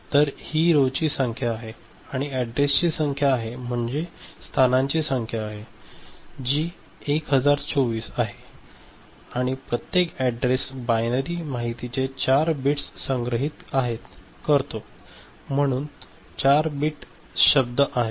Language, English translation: Marathi, So, this is the number of rows, that number of addresses, number of locations, that is 1024 and each; in each address there are 4 bits of binary information is stored, so 4 bit word is there